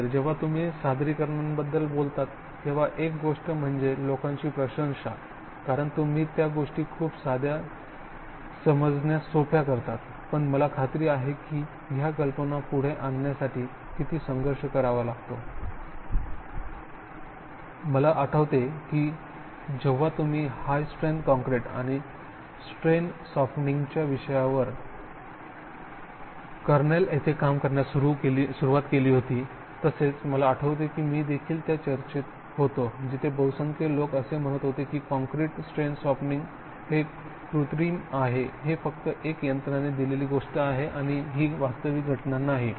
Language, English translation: Marathi, While talking about presentations one thing that people appreciate when you talk as you make things, sound very simple, very easy to understand but I am sure there have been struggles to put forward ideas, I remembered that when you started working on high strength concrete at Cornell and even when this topic of strain softening, I was, I remember being in discussions where the majority of people would say that concrete, strain softening its artificial, it is just a machine giving and it is not a real phenomenon and now in thirty years, I think you cannot even think that the discussion like that would happen